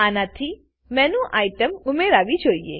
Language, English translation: Gujarati, That should add a MenuItem